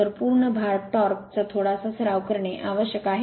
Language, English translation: Marathi, 6 times the full load torque little bit practice is necessary right